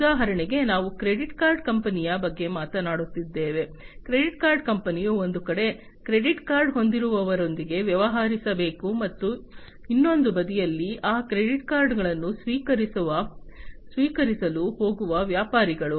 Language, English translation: Kannada, For example, if we are talking about a credit card company, so credit card company has to deal with the credit card holders on one side, and the merchants, who are going to accept those credit cards; so, those on the other side